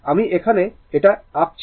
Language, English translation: Bengali, I have drawn it here, right